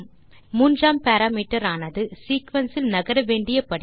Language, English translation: Tamil, The third parameter is for stepping through the sequence